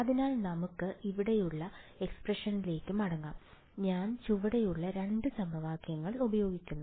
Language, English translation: Malayalam, So, let us go back to the expression over here, I use the bottom 2 equations I use this and this